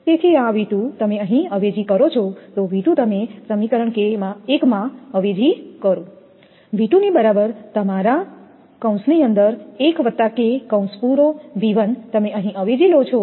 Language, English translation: Gujarati, Therefore, this V 2 you substitute here, V 2 you substitute in equation 1, V 2 is equal to your 1 plus K V 1 you substitute here